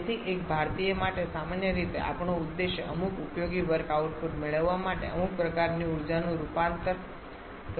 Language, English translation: Gujarati, So, for an Indian commonly our objective is to convert some form of energy to get some useful work output